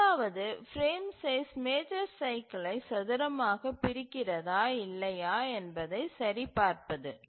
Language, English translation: Tamil, The first two are easy to check that whether the frame size is divides the major cycle squarely or not